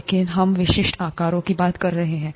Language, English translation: Hindi, But we’re talking of typical sizes